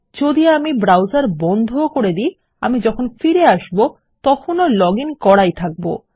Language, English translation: Bengali, If I close the browser I am still going to be logged in when I enter back